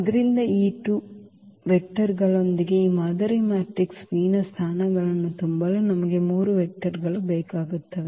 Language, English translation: Kannada, So, with these 2 vectors because we need 3 vectors to fill the positions of this model matrix P